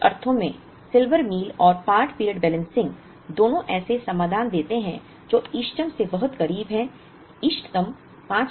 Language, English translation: Hindi, In some sense, both Silver Meal and part period balancing give solutions which are very close to the optimum, the optimum is 5000